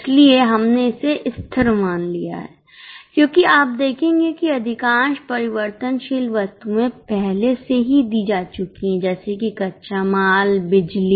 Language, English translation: Hindi, So, we have assumed it to be constant because you will observe that most of the variable items are already over like raw material power